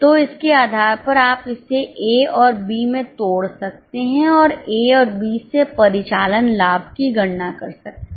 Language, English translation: Hindi, So, based on that, you can break it down into A and B and compute the operating profit from A and B